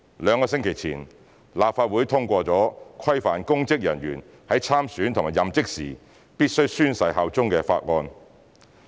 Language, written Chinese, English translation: Cantonese, 兩星期前，立法會通過規範公職人員在參選和任職時必須宣誓效忠的法案。, Two weeks ago the Legislative Council passed a bill stipulating that public officers must swear allegiance when standing for elections and holding public office